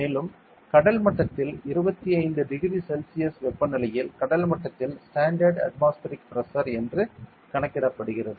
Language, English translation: Tamil, And at sea level, it is being calculated that the standard atmospheric pressure at sea level at a temperature of 25 degree Celsius